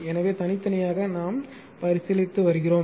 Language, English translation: Tamil, So, separately we are considering